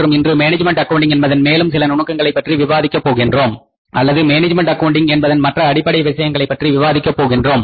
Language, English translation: Tamil, So, we are in the process of learning about the fundamentals of management accounting and today we will discuss something say more about the other techniques of the management accounting or the other fundamentals of management accounting